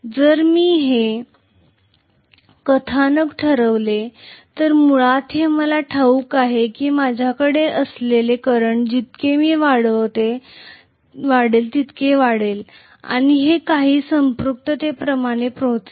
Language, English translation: Marathi, So if I plot this, we know basically that I am going to have as I increase the current it will increase and it will reach some saturation